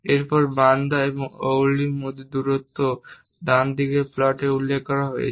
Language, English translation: Bengali, And the distance between Bandra and Worli is also mentioned on the right side plot; it is around 4